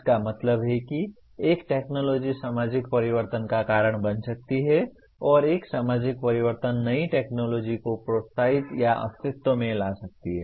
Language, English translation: Hindi, That means a technology can cause a societal change and a societal change can encourage or bring new technology into existence